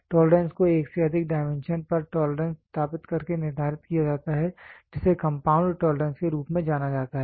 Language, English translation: Hindi, The tolerance is determined by establishing tolerance on more than one dimension it is known as compound tolerance